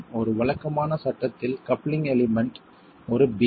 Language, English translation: Tamil, In a regular frame, the coupling element is a beam